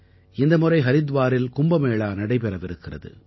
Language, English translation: Tamil, This time, in Haridwar, KUMBH too is being held